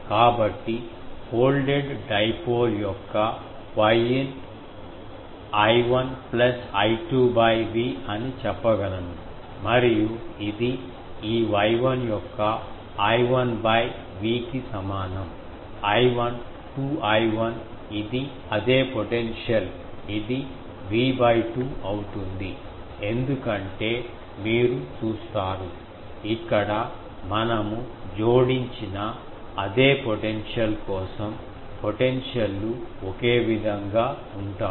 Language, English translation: Telugu, So, I can say Y in of the folded dipole is I 1 plus I 2 by V and that is equal to what is the I 1 by V of this Y 1 I 1, oh 2 I 1, this is same potential sorry, this will be V by 2 because you see for the same potential we have added here, the potentials are same